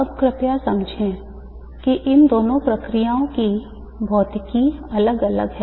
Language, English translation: Hindi, Now please understand that the physics of these two processes are different